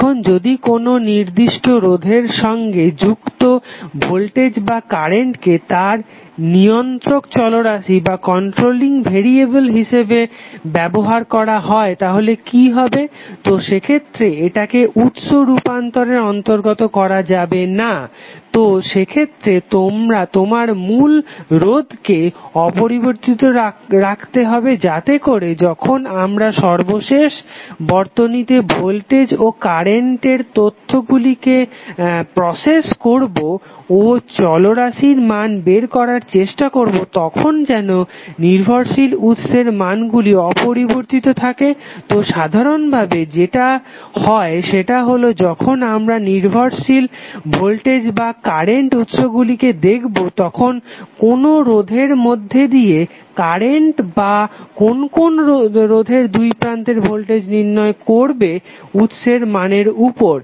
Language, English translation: Bengali, Now, voltage or current associated with particular resistor is used as a controlling variable then what will happen, so in that case it should not be included in any source transformation so, in that case your original resistor must be retain so that at the final circuit when we process the information related to voltage and current and try to find out the variable value, the dependent source parameter is untouched so, generally what happens that when we see the dependent voltage or current sources the current value across a particular resistance or voltage across the resistance would be depending upon the source value would be depending upon those parameters